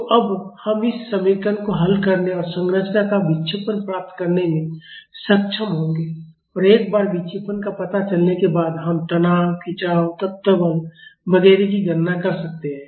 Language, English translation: Hindi, So, now, we will be able to solve this equation and get the deflection of the structure and once the deflection is found out we can calculate the stresses, strains, element forces etcetera